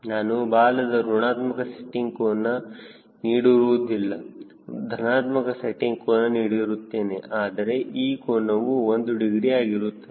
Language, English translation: Kannada, right, i do not give negative tail setting angle, i give positive tail setting angle, but this angle is one degree